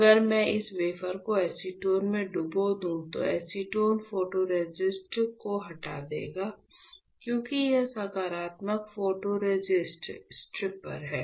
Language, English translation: Hindi, If I dip this wafer in acetone, what will happen; acetone will strip off the photoresist right, because this is the positive photoresist stripper